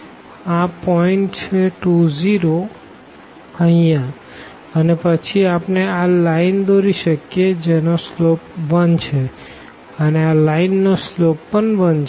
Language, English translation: Gujarati, So, this is the point 2 0 here and then we can draw this line which has slope 1 and this line also has slope 1